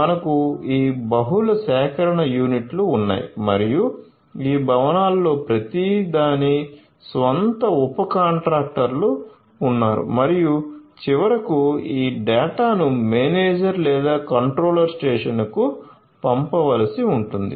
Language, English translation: Telugu, So, we have this multiple collection units and each of these buildings have their own subcontractors and finally, this data will have to be sent to the manager, manager or the control station